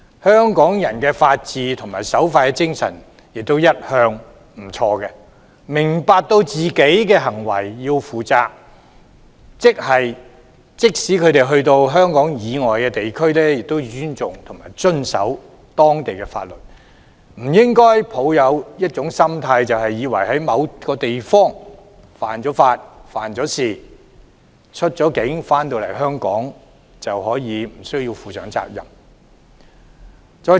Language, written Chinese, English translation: Cantonese, 香港人的法治和守法精神也一向不俗，他們明白要為自己的行為負責，即使到香港以外地區，也要尊重遵守當地法律，不應抱有僥幸心態，以為在某個地方犯法、犯事，出境回港後便可以無須負上責任。, The people of Hong Kong respect the rule of law and uphold the law - abiding spirit . They understand that they have to take responsibility for their own actions and when they are in other places outside Hong Kong they also have to respect the local law . They should not count on luck thinking that if they break the law or commit crimes abroad they need not bear any consequences once they return to Hong Kong